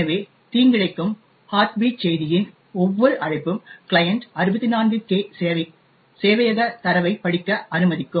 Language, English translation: Tamil, So, each invocation of a malicious heartbeat message would allow the client to read about 64K of server data